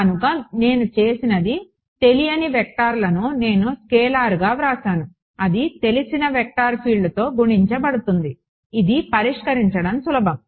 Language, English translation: Telugu, So, what I have done is unknown vectors I have written as scalar unknown multiplied by a known vector field that is easier to solve that everything being unknown right